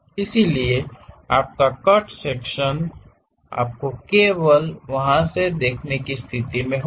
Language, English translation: Hindi, So, your cut section you will be in a position to see only from there